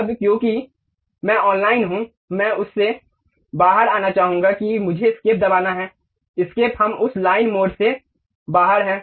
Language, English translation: Hindi, Now, because I am online I would like to really come out of that what I have to do press escape, escape, we are out of that line mode